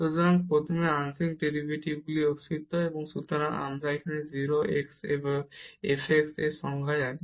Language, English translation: Bengali, So, first the existence of partial derivatives; so, we know the definition of f x at 0 0